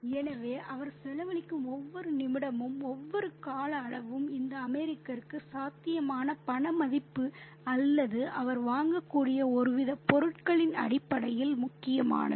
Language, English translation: Tamil, So, every minute, every duration that he expends is, you know, is important for this American in terms of the potential money value, so or some kind of commodity that he could purchase